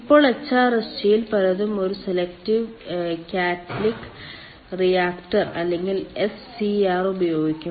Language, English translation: Malayalam, many of the many of the hrsg will use a selective catalytic reactor or scr ah